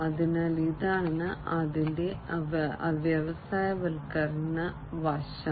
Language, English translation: Malayalam, So, this is the industrialization aspect of it